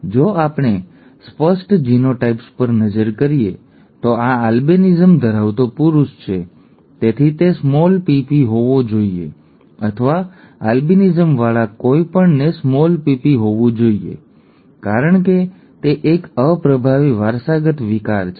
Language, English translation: Gujarati, If we look at obvious genotypes, this is a male with albinism therefore it has to be small p small p, or anything with an albinism has to be small p small p because it is a recessively inherited disorder